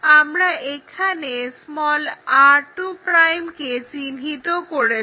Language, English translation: Bengali, Now, we have to locate r 1', r 2'